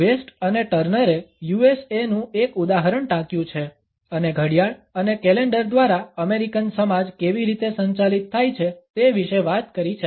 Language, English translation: Gujarati, A West and Turner have quoted the example of the USA and have talked about how the American society is being governed by the clock and calendar